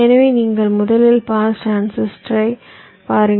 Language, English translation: Tamil, so you first look at pass transistor